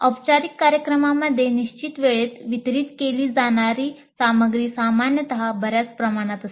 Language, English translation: Marathi, In formal programs, the content to be delivered in a fixed time is generally quite vast